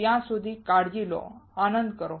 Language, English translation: Gujarati, Till then take care, have fun